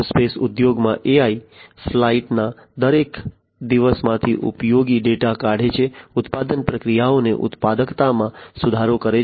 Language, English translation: Gujarati, AI in the aerospace industry extracting useful data from every day of flight, improving productivity of manufacturing processes